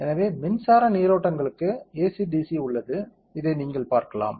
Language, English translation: Tamil, So, there is AC DC for electric currents you can see this